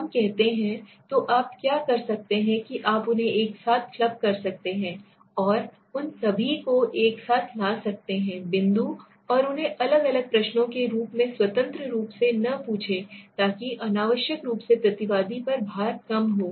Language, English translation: Hindi, Let us say, so what you can do is you can club them together bring all of them together at one point and do not ask them independently as different questions so that also reduces the you know the unnecessarily the pain on the respondent right